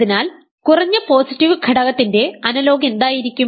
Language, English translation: Malayalam, So, what would be the analogue of least positive element